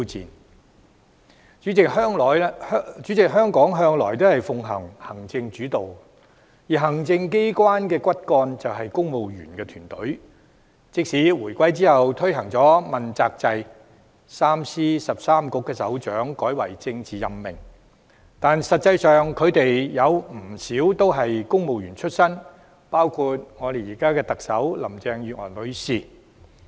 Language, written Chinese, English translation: Cantonese, 代理主席，香港政府向來奉行行政主導，而行政機關的骨幹便是公務員團隊，即使回歸後推行問責制 ，3 司13局的首長職位改為政治任命，實際上，他們有不少人都是公務員出身，包括我們現任特首林鄭月娥女士。, Deputy President the Hong Kong Government has all along maintained an executive - led system under which the civil service team is the backbone of the executive authorities . Though the introduction of the Accountability System for Principal Officials after the reunification has turned the offices of 3 Secretaries of Departments and 13 Directors of Bureaux into political appointments many of these positions are actually held by people coming from the civil service including our incumbent Chief Executive Ms Carrie LAM